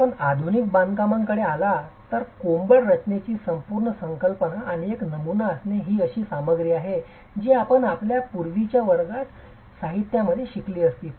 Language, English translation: Marathi, If you come to modern constructions the whole concept of coarsed masonry and having a pattern is something that you would have definitely learned in your earlier classes in materials